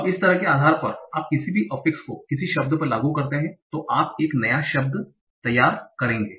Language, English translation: Hindi, Now, so based on whatever kind of affixes that you apply to a word, you will generate a new word